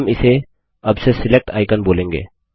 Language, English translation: Hindi, We will call this as the Select icon from now on